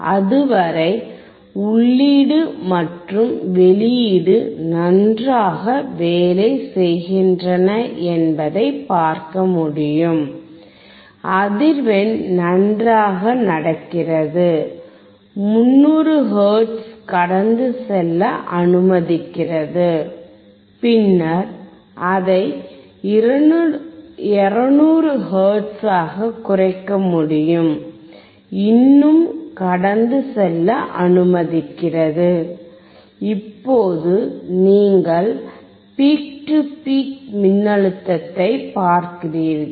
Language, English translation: Tamil, So, you until that you will be able to see that the input and output are working well, the frequency is going well, you see that 300 hertz is allowing to pass, then we can reduce it to 200 hertz is still allowing to pass, now you see the peak to peak voltage